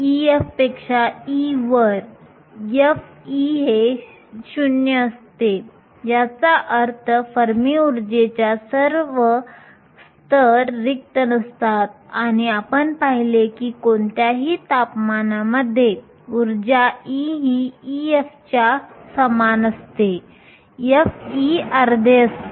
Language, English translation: Marathi, At E greater than E f, f of E is 0, which means above the fermi energy all the levels are unoccupied and we saw that for all temperatures at energy E equal to E f, f of E is half